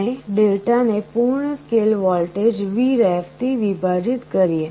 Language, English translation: Gujarati, We divide this Δ by full scale voltage which is Vref